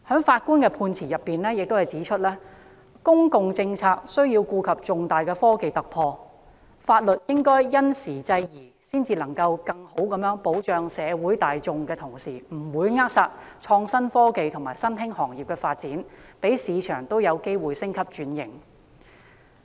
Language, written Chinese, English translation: Cantonese, 法官在相關案件的判詞中指出，公共政策須顧及重大的科技突破，法律應因時制宜，才能在更好地保障社會大眾的同時，不會扼殺創新科技和新興行業的發展，讓市場也有機會升級轉型。, In a judgment on a relevant case the Judge pointed out that public policies should take into account major technological breakthroughs and legislation should be up - to - date to make sure that while the public can be afforded better protection the development of innovative technologies and new industries will not be stifled so that the market will also has opportunities to undergo upgrading and transformation